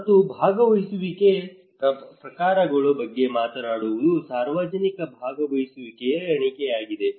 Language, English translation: Kannada, And talking about the types of participations a ladder of public participation